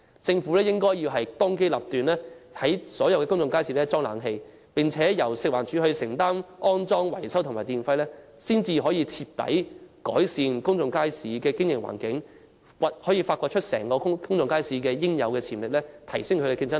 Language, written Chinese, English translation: Cantonese, 政府應當機立斷，為所有公眾街市安裝空調設施，並且由食環署負擔安裝、維修費用及電費，才可徹底改善公眾街市的經營環境，釋放公眾街市應有的潛力，以及提升競爭力。, The Government should make a prompt decision to install air - conditioning facilities in all public markets with the installation and maintenance fees as well as electricity tariff to be borne by FEHD for the purpose of improving the operating environment completely unleashing the true potential of public markets and upgrading their competitive edge